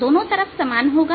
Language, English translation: Hindi, parallel is the same on both sides